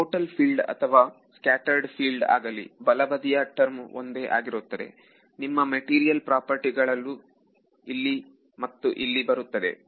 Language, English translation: Kannada, So, whether total field or scattered field the left hand side term is the same right your material properties are entering here and here